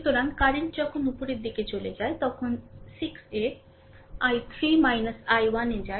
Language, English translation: Bengali, So, the current going when moves upwards, it is 6 into i 3 minus i 1